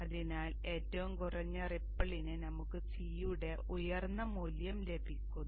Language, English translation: Malayalam, So for the minimum ripple, I will get a higher value of C